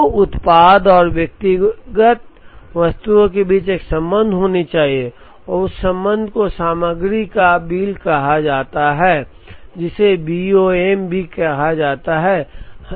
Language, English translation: Hindi, So, there has to be a relationship between the product and the individual items and that relationship is called the bill of materials, also called BOM